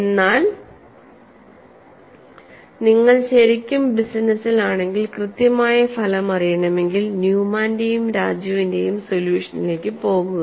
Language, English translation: Malayalam, But if a really in the business and you want to know the exact result, you go to the solution of Newman and Raju, you have those empirical relations available